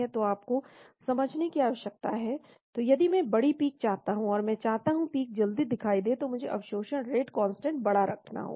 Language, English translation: Hindi, So you need to understand, so if I want to have high peaks, and I want to have the peaks are appearing faster I need to have very high absorption rate constant